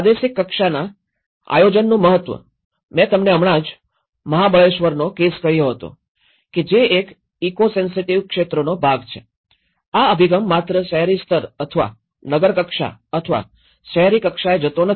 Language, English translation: Gujarati, The importance of regional level planning, I just said to you now, the Mahabaleshwar case, being a part of the eco sensitive zone, the approach has to not go only that a city level or a town level or urban level